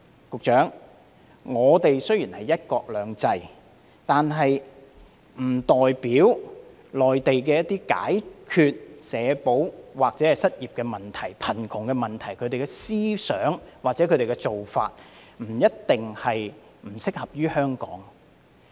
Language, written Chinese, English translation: Cantonese, 局長，雖然我們是"一國兩制"，但這並不代表內地一些解決社保或失業問題、貧窮問題的思想或做法就一定不適合香港。, Secretary though we are under one country two systems it does not mean that certain ideas or practices adopted in the Mainland for addressing the issues concerning social security unemployment or poverty are certainly unsuitable for Hong Kong